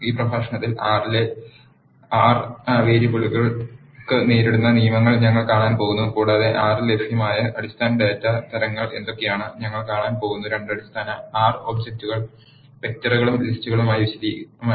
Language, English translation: Malayalam, In this lecture we are going to see the rules for naming the variables in R and what are the basic data types that are available in R and we are also going to see two basic R objects; vectors and lists, in detail